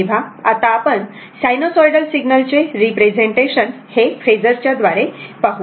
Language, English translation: Marathi, So now, will now we will see the representation of an your what you call sinusoidal signal by phasor, right